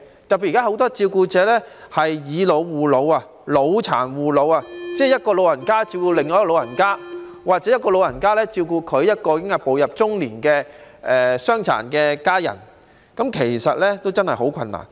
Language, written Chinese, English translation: Cantonese, 特別是現時很多照顧者出現"以老護老"、"老殘護老"的情況，即一個長者照顧另一個長者，或一個長者照顧一個已步入中年的傷殘家人，其實真的很困難。, In particular there are currently many cases of seniors caring for seniors and seniors caring for persons with disabilities ie . an elderly person taking care of another elderly person or an elderly person taking care of a middle - aged family member with disabilities . This is too difficult indeed